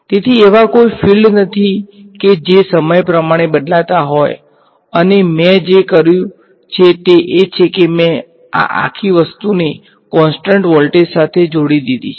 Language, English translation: Gujarati, So, there are no fields that are varying in time and what I have done is I have connected this whole thing to a constant voltage